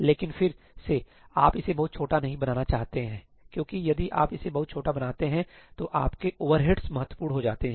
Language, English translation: Hindi, But again, you do not want to make it too small because if you make it too small, then your overheads become significant